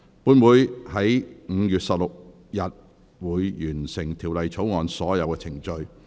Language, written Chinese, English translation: Cantonese, 本會會在5月16日完成《條例草案》的所有程序。, All proceedings on the Bill will be completed at the meeting on 16 May